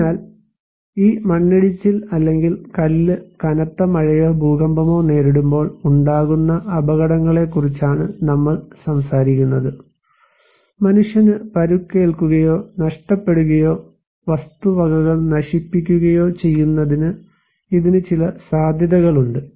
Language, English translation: Malayalam, So, we are talking about hazards that this landslide or this stone when it is exposed to heavy rainfall or earthquake, it can have some potentiality to cause human injury or loss or property damage